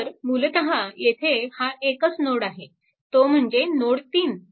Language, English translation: Marathi, So, this is actually this is node 3 right